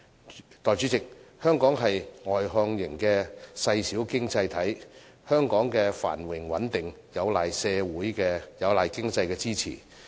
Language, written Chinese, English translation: Cantonese, 代理主席，香港是外向型的細小經濟體，香港的繁榮穩定有賴經濟的支持。, Deputy President Hong Kong is a small and externally - oriented economy and its prosperity and stability are dependent on economic support